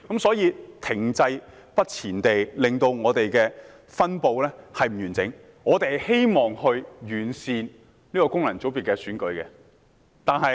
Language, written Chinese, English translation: Cantonese, 所以，停滯不前的情況令分布不完整，我們希望完善這功能界別的選舉。, Therefore stagnation has led to uneven distribution . We hope to perfect the election of this FC